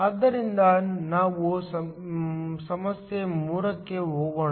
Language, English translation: Kannada, So, let us now go to problem 3